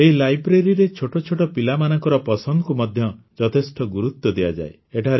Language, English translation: Odia, In this library, the choice of the children has also been taken full care of